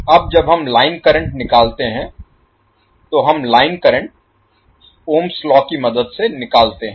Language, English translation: Hindi, Now when we calculate the line current, we calculate the line current with the help of Ohm's law